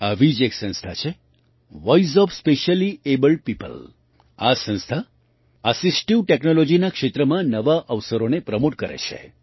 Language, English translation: Gujarati, There is one such organization Voice of Specially Abled People, this organization is promoting new opportunities in the field of assistive technology